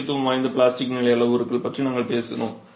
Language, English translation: Tamil, We talked about the plastic stage parameters that are of importance